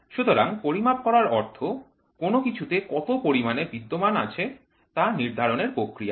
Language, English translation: Bengali, So, measurement is a process of determination of anything that exists in some amount